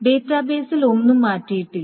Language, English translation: Malayalam, So nothing has been changed into the database